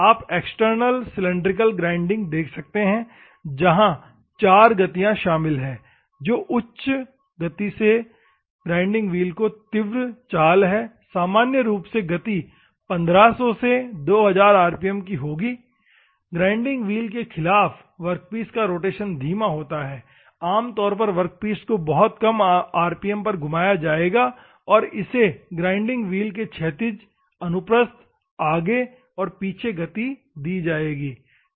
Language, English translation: Hindi, You can see the external one cylindrical grinding where four motions are involved which is rapid movement of the grinding wheel at proper speed normally the speed will be like 1500 to 2000 rpm; slow rotation of the workpiece against the grinding wheel, normally the workpiece will be rotated at very low rpm and horizontal, transverse, back and forth of the grinding wheel these are the other motions, ok